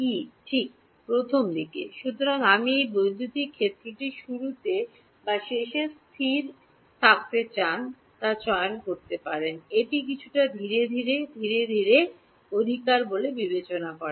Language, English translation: Bengali, E 1 right at the very beginning; so, you can choose whether you want to have the electric field to be constant at the beginning or at the end does not matter it is a piecewise constant right